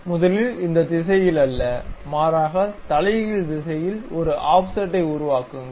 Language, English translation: Tamil, First construct an offset not in this direction, but in the reverse direction